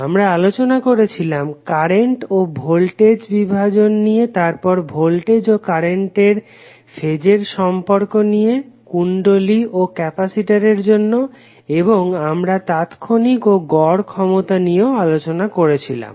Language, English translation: Bengali, We also discussed current and voltage division then we discussed voltage and current phase relationships for inductor and capacitor and then we studied the instantaneous and average power calculation